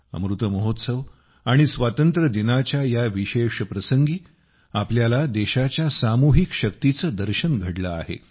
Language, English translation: Marathi, On this special occasion of Amrit Mahotsav and Independence Day, we have seen the collective might of the country